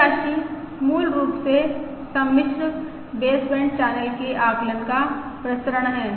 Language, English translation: Hindi, This quantity is basically the variance of the complex baseband channel estimate